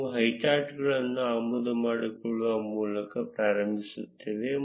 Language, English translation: Kannada, We would start by importing highcharts